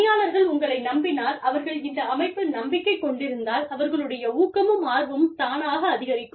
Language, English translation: Tamil, Now, if the employees trust you, if the employees have faith in the system, their motivation, their willingness to perform, will go up